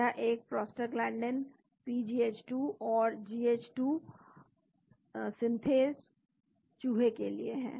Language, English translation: Hindi, This is a prostaglandin PGH2 and GH2 synthase for the Mouse